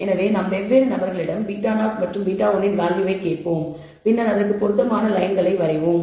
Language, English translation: Tamil, So, we will ask different people let us say, values of beta 0 and beta 1 and draw appropriate lines